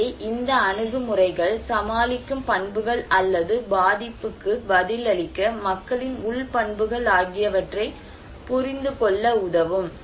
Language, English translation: Tamil, So, these approaches can help us to understand the coping characteristics or internal characteristics of people to respond vulnerability